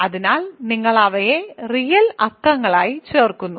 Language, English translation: Malayalam, So, you add them as real numbers